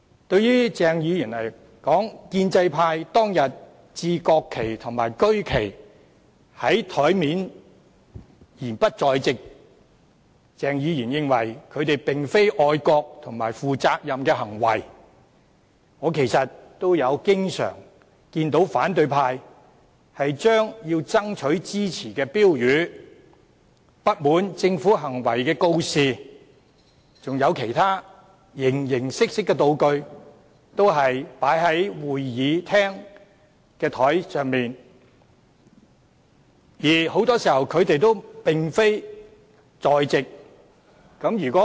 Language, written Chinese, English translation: Cantonese, 對於鄭議員的說法指他認為建制派當天在桌上擺放國旗及區旗而又不在席，並非愛國和負責任的行為，我其實也經常看到反對派把要爭取支持的標語、不滿政府行為的告示及其他形形色色的道具擺放在會議廳的桌上，而很多時他們亦不在席。, With respect to Dr CHENGs comment that the pro - establishment Members act of displaying the national flags and regional flags on the desk and leaving them unattended on that day was not a patriotic or responsible move as a matter of fact I have often found the opposition camp leaving banners of soliciting support placards with expressions of discontent about the Governments initiatives and other various props on the desks of the Chamber while they are not present